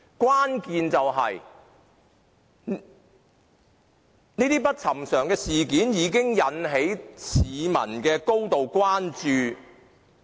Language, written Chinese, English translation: Cantonese, 關鍵在於這些不尋常事件已經引起市民高度關注。, The crux of the matter is that these unusual happenings have come to arouse grave public concern